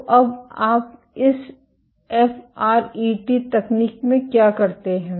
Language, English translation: Hindi, So, now, what do you do in this FRET technique